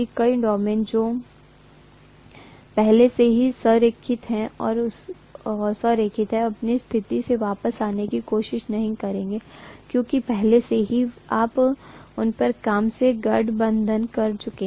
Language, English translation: Hindi, Many of the domains which are already aligned, they will not try to come back from their position because already aligned you have done from work on them